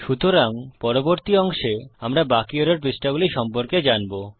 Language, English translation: Bengali, So in the next parts, we will cover the rest of the error pages